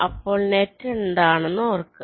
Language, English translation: Malayalam, so recall what is the net